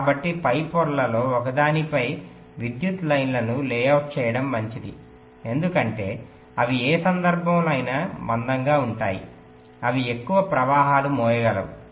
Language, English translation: Telugu, so it is better to layout the power lines on one of the top layers because they will be, they will be thicker in any case, they can carry more currents